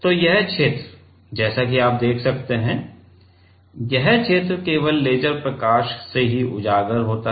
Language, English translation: Hindi, So, this region as you can see, this region is only exposed with the laser light right